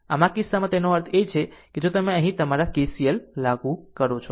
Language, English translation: Gujarati, So, in this case; that means, if you apply if you apply your KCL here